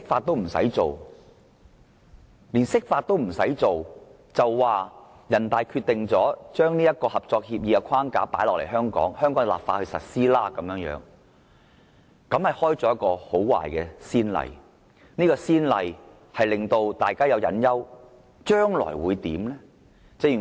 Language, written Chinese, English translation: Cantonese, 但是，這次連釋法也不用，人大常委會直接將《合作安排》的框架放諸香港，在香港立法實施，這開了很壞的先例，令大家憂慮到將來會如何？, However in the present case NPCSC did not bother to interpret the Basic Law but directly imposed the framework of the Co - operation Arrangement on Hong Kong and then went ahead with the local legislation process . This sets a very bad precedent making people worry about what the future holds